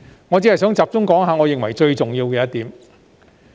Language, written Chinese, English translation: Cantonese, 我只想集中談談我認為最重要的一點。, I just want to focus on the point that I consider the most important